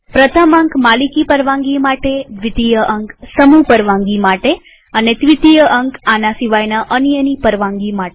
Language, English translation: Gujarati, The first digit stands for owner permission, the second stands for group permission, and the third stands for others permission